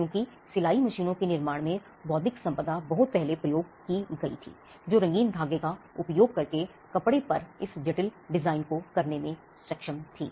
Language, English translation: Hindi, Because the intellectual property went in much before in the creation of the sewing machines, which was capable of doing this intricate design on cloth using colorful thread